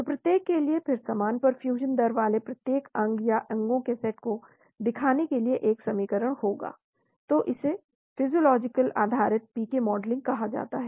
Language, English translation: Hindi, So for each, then there will be an equation representing each organ or set of organs with similar perfusion rates , then this is called physiological based PK modelling